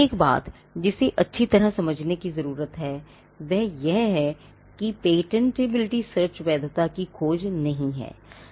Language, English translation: Hindi, Now one thing that needs to be understood well is that a patentability search is not a search of validity